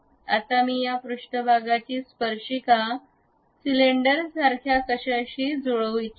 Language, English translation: Marathi, Now, I would like to really mate this surface tangent to something like a cylinder